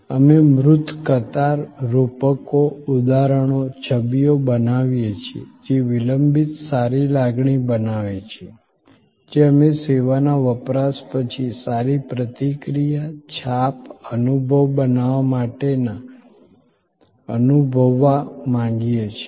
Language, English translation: Gujarati, We create tangible queues, metaphors, examples, images, which create a lingering good feeling, which we want to feel to create a feel good reaction, impression, experience, after consumption of service